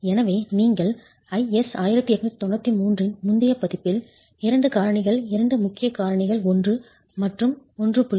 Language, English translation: Tamil, So, you have in the previous version of IS 1893 2 factors, 2 importance factors 1 and 1